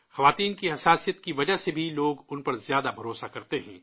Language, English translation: Urdu, Because of the sensitivity in women, people tend to trust them more